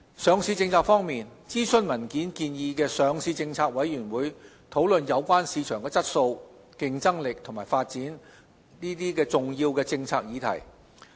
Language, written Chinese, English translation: Cantonese, 上市政策方面，諮詢文件建議的上市政策委員會討論有關市場質素、競爭力及發展重要的政策議題。, Regarding listing policy the consultation paper suggests LPC discuss policy issues important to the quality competitiveness and development of the market